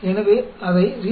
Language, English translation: Tamil, So, that gives you 0